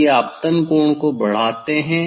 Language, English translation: Hindi, if you increase the incident angle